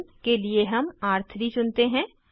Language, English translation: Hindi, For R1 we choose R3